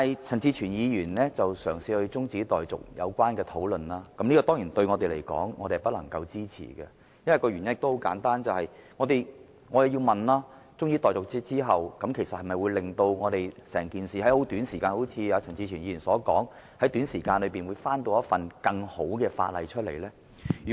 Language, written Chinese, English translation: Cantonese, 陳志全議員動議將擬議決議案的辯論中止待續的議案，我們當然不能支持，原因很簡單，我們質疑，即使中止待續議案獲得通過，政府能否正如陳志全議員所說，在短時間內再提交一份更好的附屬法例修訂？, We certainly cannot support the motion moved by Mr CHAN Chi - chuen to adjourn the debate on the proposed resolution . The reason is very simple . We doubt if the Government can as suggested by Mr CHAN Chi - chuen reintroduce a better amendment to the subsidiary legislation within a short period of time even if the adjournment motion is passed